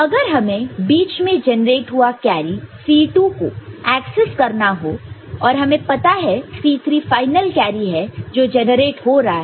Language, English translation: Hindi, And, if we have access to intermediate carry C 2; C 3 is the final carry that is getting generated right